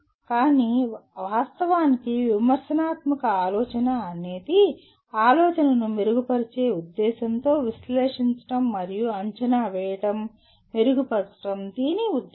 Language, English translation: Telugu, But actually critical thinking is the art of analyzing and evaluating thinking with a view to improving it